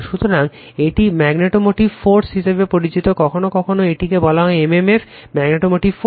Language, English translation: Bengali, So, this is known as magnetomotive force, sometimes we call it is m m f right, so magnetomotive force